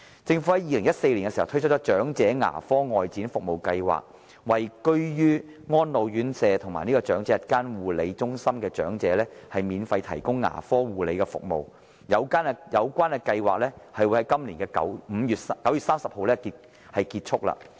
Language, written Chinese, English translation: Cantonese, 政府在2014年推出了長者牙科外展服務計劃，為居於安老院舍和長者日間護理中心的長者免費提供牙科護理服務，有關計劃會在今年9月30日結束。, The Outreach Dental Care Programme for the Elderly which was launched by the Government in 2014 to provide free dental care services to the elderly in residential care homes and day care centres will come to an end on 30 September this year